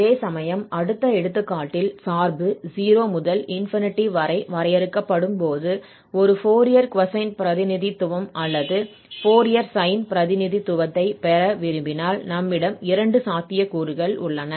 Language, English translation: Tamil, Whereas, in the next example, we will see that when the function is defined in 0 to 8 then we have both the possibilities, whether we want to have a Fourier cosine representation or Fourier sine representation